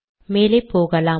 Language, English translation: Tamil, Lets come here